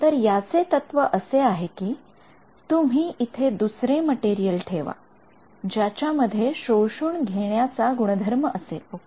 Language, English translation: Marathi, So, here the philosophy is that you add another material over here, which has an absorbing property ok